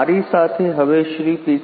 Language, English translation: Gujarati, So, I now have with me Mr